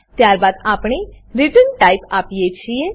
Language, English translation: Gujarati, Then we give the return type